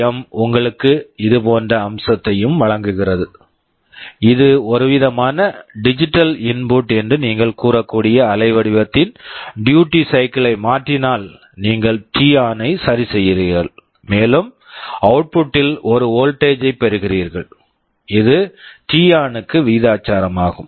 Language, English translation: Tamil, Now, PWM also provides you with a similar feature, like if you change the duty cycle of the waveform that you can say is some kind of digital input, you are adjusting t on, and you are getting a voltage in the output which is proportional to that t on